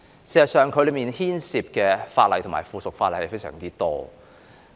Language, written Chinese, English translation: Cantonese, 事實上，當中牽涉的主體法例和附屬法例非常多。, As a matter of fact numerous principal Ordinances and items of subsidiary legislation were involved